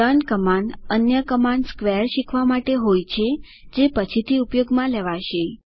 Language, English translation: Gujarati, The command learn is just learning other command square to be used later